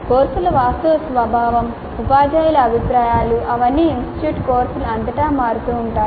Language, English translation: Telugu, The actual nature of the courses, views by teachers, they all vary across the institute courses